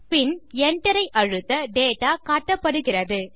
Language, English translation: Tamil, Then I press enter and the data is displayed